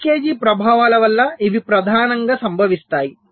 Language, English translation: Telugu, these occur mainly due to the leakage effects